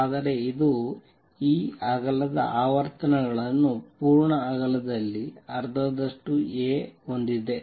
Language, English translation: Kannada, But it also has the frequencies in this width full width at half maximum is A